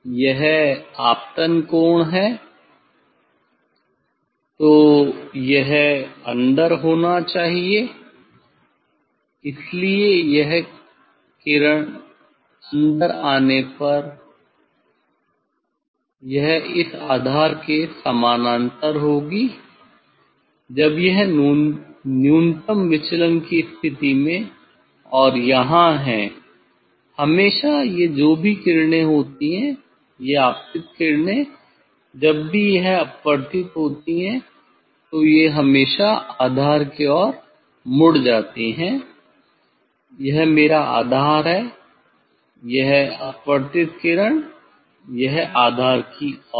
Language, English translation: Hindi, this is the angle of incidence then it should be inside so this is the ray us coming inside it will be parallel to this base when it is at minimum deviation position and here; always these rays whatever these incident rays when refracted always it bends towards the base